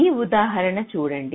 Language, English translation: Telugu, just take an example